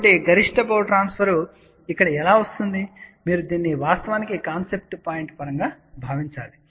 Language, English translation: Telugu, So, how maximum power transfer gets over here, well you have to actually think of this as concept point of view